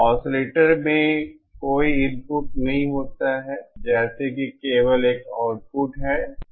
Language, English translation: Hindi, In an oscillator, there is no input as such there is only an output